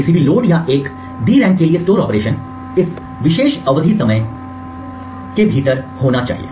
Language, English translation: Hindi, So any load or a store operation to a DRAM has to be within this particular time period